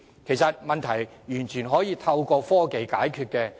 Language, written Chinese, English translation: Cantonese, 其實以上問題完全可透過科技解決。, The problem can actually be resolved completely with the use of the latest technology